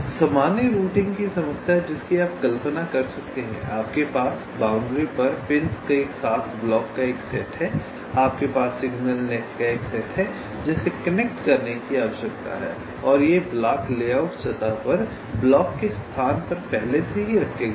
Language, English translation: Hindi, ok, so the general routing problem you can visualize like this: you have a set of blocks with pins on the boundaries, you have a set of signal nets which need to be connected and these blocks are already placed locations of the blocks on the layout surface